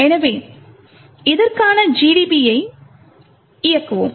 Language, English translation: Tamil, So, let’s run gdb for this